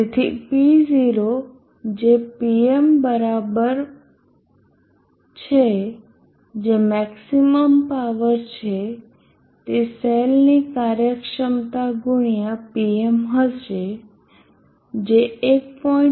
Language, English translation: Gujarati, 5% before P0 = Pm which is the max power will be efficiency of the cell into Pm which is 1